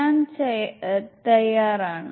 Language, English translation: Malayalam, So I am ready